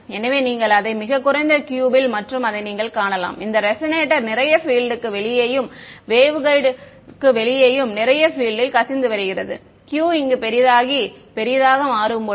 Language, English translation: Tamil, So, this is the lowest Q and that is you can see that a lot of the field is leaking out right outside the waveguide outside this resonator lot of field is there as the Q becomes larger and finely larger over here